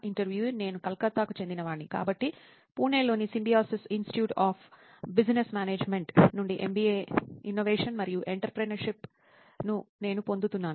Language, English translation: Telugu, I am from Calcutta, so I am perceiving MBA Innovation and Entrepreneurship from Symbiosis Institute of Business Management, Pune